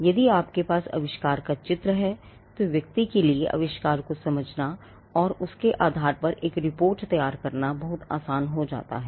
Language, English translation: Hindi, If you have drawings of the invention, then it becomes much easier for the person to understand the invention and to generate a report based on that